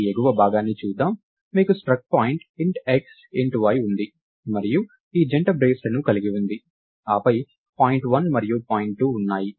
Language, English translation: Telugu, So, lets look at this top part, you have a struct point int x int y and we have these braces closing it followed by point 1 and point 2